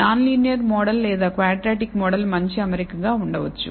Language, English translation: Telugu, A non linear model or a quadratic model may be a better fit